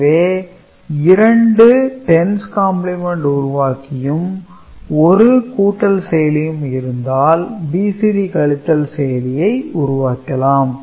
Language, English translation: Tamil, So, together two 10’s complement generator circuit and 1 BCD adder you can do BCD subtraction ok